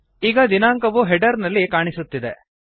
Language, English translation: Kannada, The date is displayed in the header